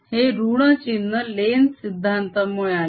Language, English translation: Marathi, this minus sign again comes because of lenz's is law